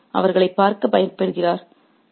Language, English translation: Tamil, One is afraid to look at them